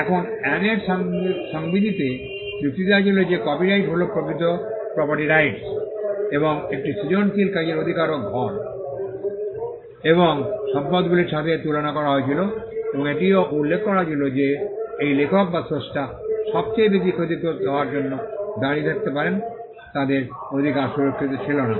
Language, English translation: Bengali, Now, in the statute of Anne it was argued that copyright was a true property right and the right in a creative work was compared to houses and estates and it was also mentioned that the authors or creators of the work would stand to suffer the most if their rights were not protected